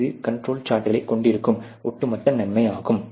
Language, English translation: Tamil, So, that is the overall benefit that the control charts would have